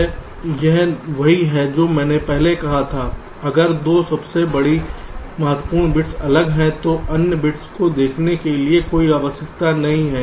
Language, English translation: Hindi, if the two most significant bits are different, then there is no need to look at the other bits